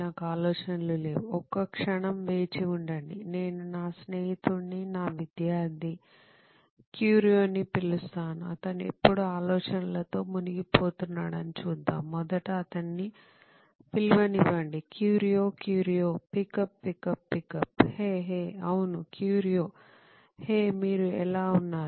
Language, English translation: Telugu, I do not have any ideas, wait a second, I have an idea I call my friend, my student Curio, let us see he is always brimming with ideas, let me call him first, come on Curio, Curio pickup pickup pickup, ha, hey, yes Curio, hey how are you man